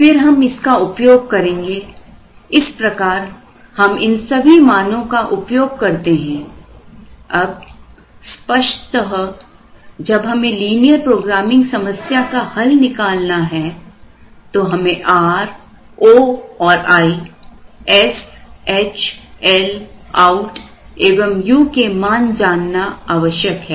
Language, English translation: Hindi, Then, we will use this, similarly, we use all these values, now obviously when we have to solve this linear programming problem, it is necessary to know the values of R, O and I, S, H, L, OUT and U